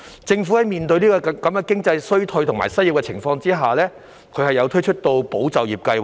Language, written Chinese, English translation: Cantonese, 政府在面對經濟衰退和失業高企的情況下，推出了"保就業"計劃。, In the face of economic recession and high unemployment the Government has launched the Employment Support Scheme ESS